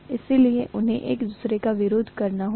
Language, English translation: Hindi, So they have to oppose each other